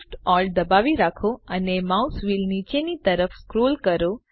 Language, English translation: Gujarati, Hold Shift, Alt and scroll the mouse wheel downwards